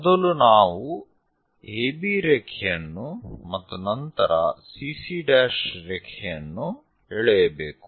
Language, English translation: Kannada, First, we have to draw AB line and then CC dash